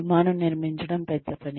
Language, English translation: Telugu, Building an Airplane is big